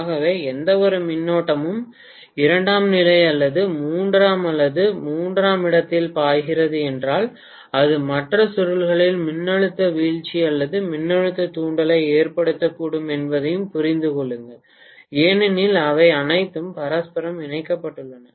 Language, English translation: Tamil, So please understand that any current if it flows either in the secondary or in the primary or in the tertiary it can cause a voltage drop or voltage induction in the other coils as well because they are all mutually coupled